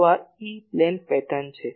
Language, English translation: Gujarati, So, this is the E plane pattern